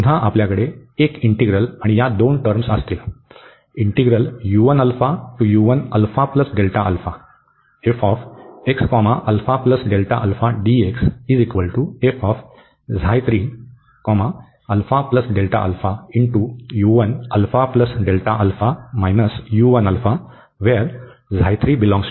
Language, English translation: Marathi, So, again we will have one integral, and these two terms